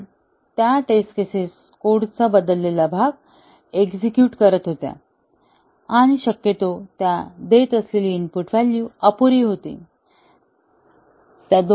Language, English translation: Marathi, Because, these test cases were executing the changed part of the code and possibly, the input values they were giving was inadequate